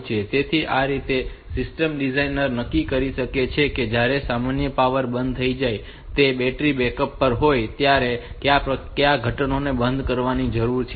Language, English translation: Gujarati, So, that way this system designer can decide like what are the components that needs to be shut down when the normal power goes off and it is on the battery backup